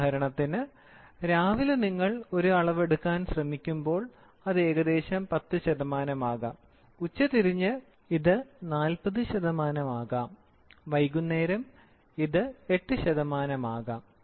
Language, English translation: Malayalam, For example, in the morning when you try to take a measurement, it can be some 10 percent; in the afternoon, it can be 40 percent; in the evening, it can be 8 percent